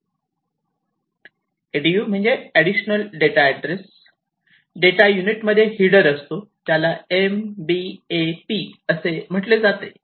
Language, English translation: Marathi, So, this ADU application data address, data unit has some header, which is known as the MBAP